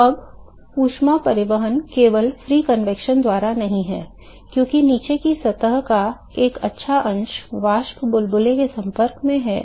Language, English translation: Hindi, So, now, the heat transport is not just by the free convection, because there is good fraction of the bottom surface which is in contact with the vapor bubble